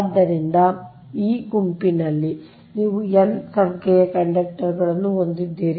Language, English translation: Kannada, so here in that group you have n number of conductors, right